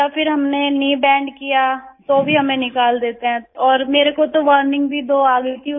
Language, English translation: Hindi, Or even if we bend our knees, they expel us and I was even given a warning twice